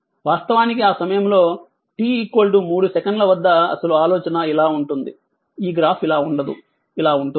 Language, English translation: Telugu, Actually at time t is equal to 3 second and actually idea is like this, this graph is like this